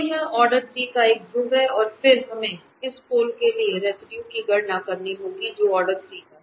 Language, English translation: Hindi, So, this is a pole of order 3 and then we have to compute the residue for this pole which is of order 3